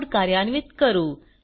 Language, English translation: Marathi, Lets execute the code